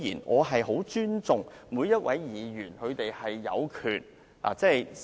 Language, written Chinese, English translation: Cantonese, 我很尊重每一位議員的權利。, I respect the right of every Member